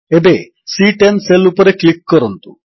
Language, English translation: Odia, Now, click on the cell referenced as C10